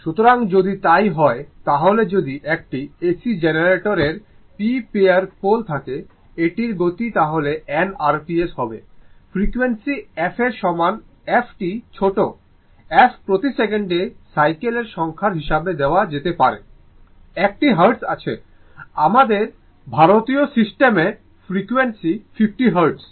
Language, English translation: Bengali, So, if it is so, then therefore if an AC generator, if an AC generator has p pairs of poles, it is speed and n r p s, the frequency is equal to the frequency can be f this is small f can be given as number of cycles per second right, you have you have a Hertz, you have a Hertz that our frequency is 50 Hertz in a in Indian system